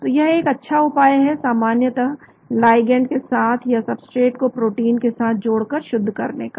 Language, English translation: Hindi, So it is a good idea to generally crystallize with the ligand or with the substrate bound to the protein